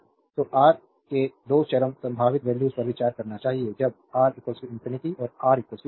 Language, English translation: Hindi, So, we can so, we must consider the 2 extreme possible values of R that is when R is equal to infinity and when R is equal to 0